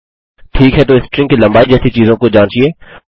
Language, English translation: Hindi, Okay so check things like string length